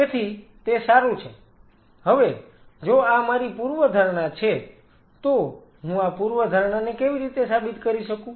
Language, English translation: Gujarati, So, it is fine if this is my hypothesis how I can prove this hypothesis, whether this is really true or not